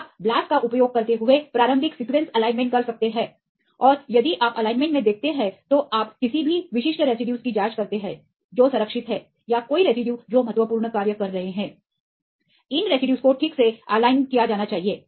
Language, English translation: Hindi, You can do the initial sequence alignment using the blasts right and if you look into the alignments so you check any specific residues which are conserved or any residues which are having important functions these residues should be properly aligned right